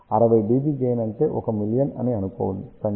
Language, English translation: Telugu, Just think about 60 dB gain corresponds to 1 million ok